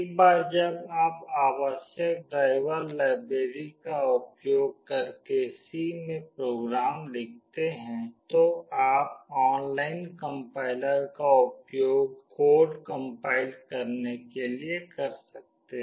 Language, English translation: Hindi, Once you write the program in C using necessary driver libraries those are present, you can use the online compiler to compile the code